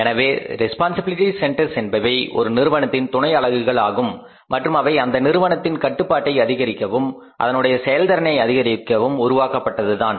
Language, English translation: Tamil, So, responsibility centers are the subunits of the firm and they are created just to maximize the control and to maximize the efficiency of the firm